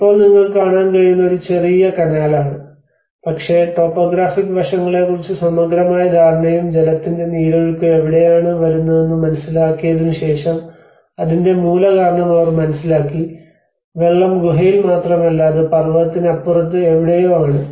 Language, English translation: Malayalam, \ \ \ Now, what you can see is a small canal, but after having a thorough understanding of the topographic aspects and after having a understanding of where the water seepages are coming, they understood the root cause of the water is not just not in the cave, it is somewhere beyond the mountain